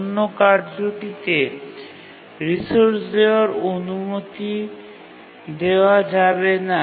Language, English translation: Bengali, And therefore, the other task cannot really be allowed to grant the resource